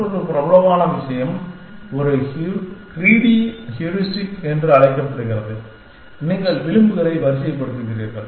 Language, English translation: Tamil, Another popular thing, which is known a greedy heuristic says that, you sort the edges